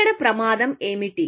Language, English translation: Telugu, What is the danger here